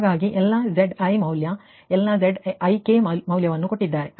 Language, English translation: Kannada, so all all zi value, all zi value z ik values are given